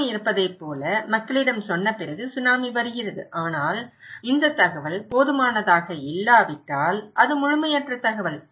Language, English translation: Tamil, Like if there is a Tsunami, we tell people that okay, Tsunami is coming but if this information is not enough, it is incomplete information